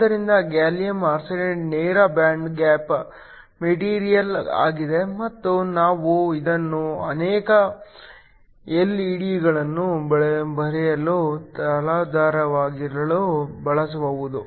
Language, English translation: Kannada, So, gallium arsenide is a direct band gap material and we can also use it as the substrate for growing many of these LED's